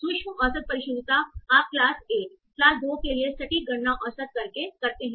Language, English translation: Hindi, You compute precision for class 1, class 2 taken average